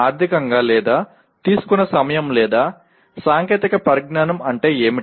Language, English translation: Telugu, What does it mean either economically or the time taken or the technology is used